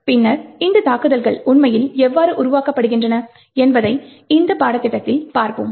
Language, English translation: Tamil, Later on, in this course we will be actually looking how these attacks are actually developed